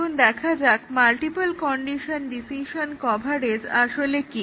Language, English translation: Bengali, Now, let us see what is multiple condition decision coverage